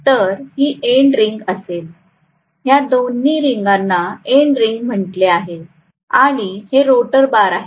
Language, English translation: Marathi, So this is going to be end ring both these things are call end rings and these are rotor bars, these are the rotor bars